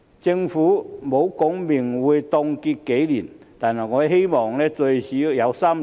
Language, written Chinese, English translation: Cantonese, 政府沒有說明會凍結多少年，但我希望最少有3年。, The Government has not specified the freeze will last how many years but I hope it will be at least three years